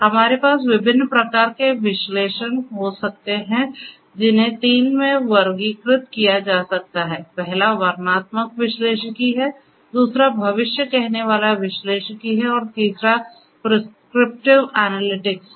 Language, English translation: Hindi, We could have analytics of different types which can be classified into three; first is the descriptive analytics, second is the predictive analytics and the third is the prescriptive analytics